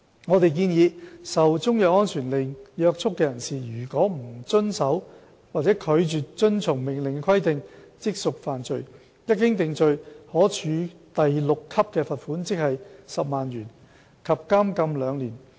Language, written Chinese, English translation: Cantonese, 我們建議，受中藥安全令約束的人士，如不遵守或拒絕遵從命令的規定，即屬犯罪，一經定罪，可處第6級罰款及監禁兩年。, We propose that a person who is bound by a Chinese medicine safety order and fails or refuses to comply with any requirements set out in the order commits an offence and is liable to a fine at level 6 and to imprisonment for two years